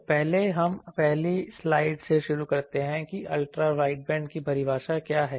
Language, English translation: Hindi, So, the first we start with the first slide that what is the definition of Ultra wideband